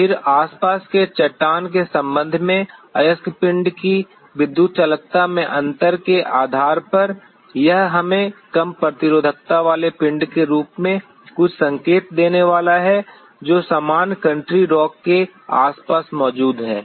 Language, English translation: Hindi, Then by virtue of the difference in the electrical conductivity of the ore body with respect to the surrounding rock it is going to give us some signal in the form of a lower resistivity body which is present in the surrounding of the normal country rock